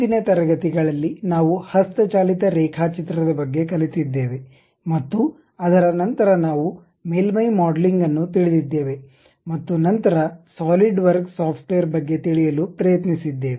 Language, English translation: Kannada, In the earlier classes, we learned about manual drawing and after that we have introduced surface modeling then went try to learn about Solidworks software